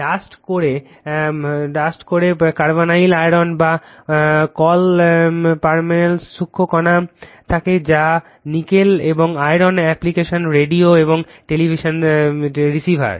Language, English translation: Bengali, Dust core consists of fine particles of carbonyl iron or your call permalloy that is your nickel and iron application radio and television receivers, right